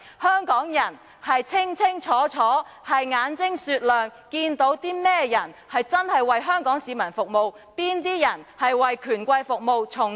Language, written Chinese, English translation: Cantonese, 香港人心中清楚、眼睛雪亮，知道哪些人是真正為香港市民服務，哪些人是為權貴服務，從中撈取利益。, Hong Kong people are all discerning enough to know who really want to serve the people of Hong Kong and who actually want to serve the rich and powerful in the hope of obtaining benefits